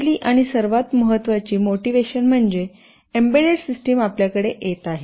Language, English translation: Marathi, The first and foremost motivation is that embedded systems are coming to us in a really big way